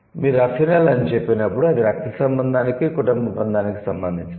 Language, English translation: Telugu, So, when you say affinil, that means it is related to the blood relation, the family bonding